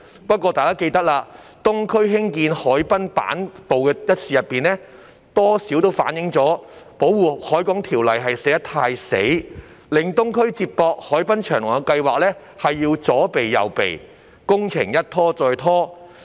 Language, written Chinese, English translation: Cantonese, 不過，大家也記得，在東區走廊下興建行人板道一事上，多少反映了《條例》寫得太"死"，令東區接駁海濱長廊的計劃要左避右避，工程一拖再拖。, Nevertheless as all of you may recall the construction of a boardwalk underneath the Island Eastern Corridor has somewhat reflected that the Ordinance is too rigid for the project of connecting the Eastern District with the waterfront promenade had to compromise in many ways and the works were delayed time and again